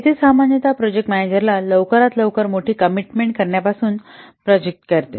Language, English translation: Marathi, Here, normally it protects managers from making big commitment too early